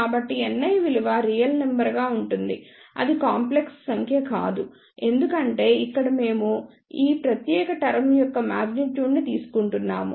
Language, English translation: Telugu, So, N i comes out to be the real number it is not a complex number because here we are taking magnitude of this particular term